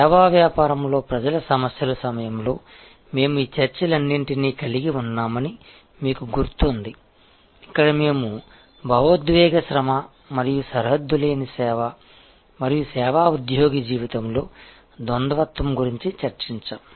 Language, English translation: Telugu, You remember we had these, all these discussions during the people issues in services business, where we discussed about emotional labour and boundary less service and duality in the life of a service employee